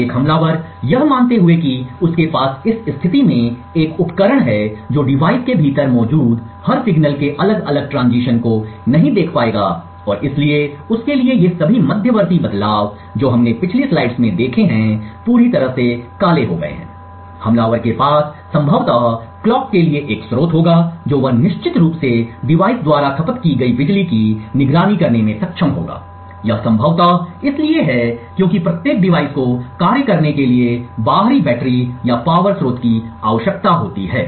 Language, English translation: Hindi, An attacker assuming that he has a device in this position would not be able to look at individual transitions of every signal that is present within the device and therefore for him all of these intermediate transitions which we have seen in the previous slide is completely blacked out, what the attacker would have is possibly a source for the clock he would definitely be able to monitor the power consumed by the device, this is possibly because every device requires an external battery or power source for it to function